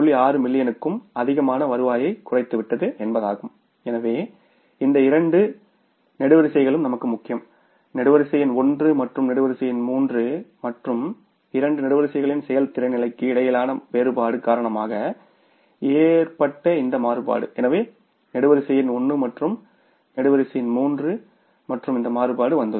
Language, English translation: Tamil, So, these two columns are important for us, column number one and the column number three and this variance which has occurred because of the difference between the performance level of the two columns, column number one and column number three and these variances have come up